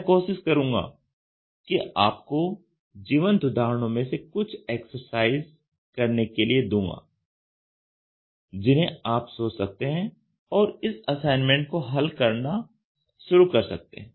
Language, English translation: Hindi, And I will try to give you an exercise just from the live examples which you can think of and start solving that assignment